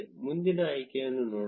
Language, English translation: Kannada, Let us look at the next option